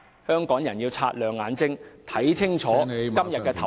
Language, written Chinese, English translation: Cantonese, 香港人要擦亮眼睛，看清楚......, Hong Kong people should keep their eyes peeled and take a good look at todays voting